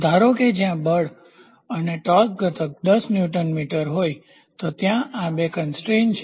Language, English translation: Gujarati, Suppose, if there is force as well as a torque component of 10 Newton meter something like this is the two constraints are there